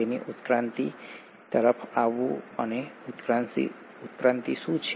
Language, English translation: Gujarati, So coming to evolution, and what is evolution